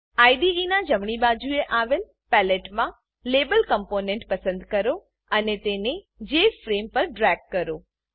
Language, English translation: Gujarati, In the Palette, on the right hand side of the IDE, select the Label component and drag it to the Jframe